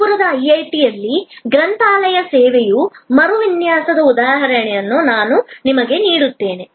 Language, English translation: Kannada, I will give you an example of the redesigning of the library service at IIT, Kanpur